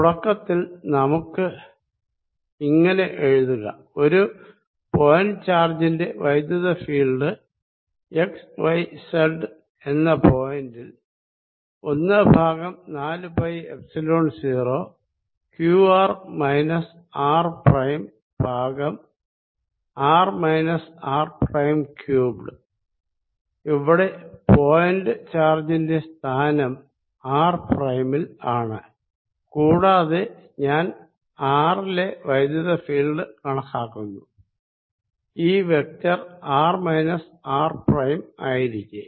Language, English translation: Malayalam, to start with, let us write: the electric field for a point charge which is at x y z will be given as one over four pi epsilon zero: q r minus r prime over r minus r prime cubed, where the position of the of the point charge is at r prime and i am calculating electric field at r, this vector being r minus r prime